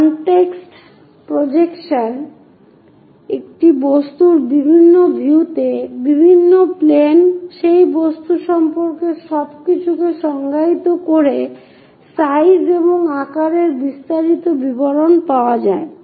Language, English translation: Bengali, In that context projection of object on to different views, different planes defines everything about that object in terms of shape, size, under the details